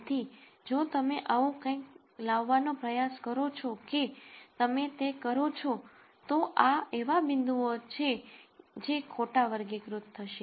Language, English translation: Gujarati, So, whatever you do if you try to come up with something like this then, these are points that would be misclassified